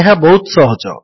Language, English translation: Odia, This is easy too